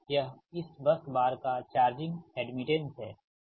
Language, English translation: Hindi, this will be the total charging admittance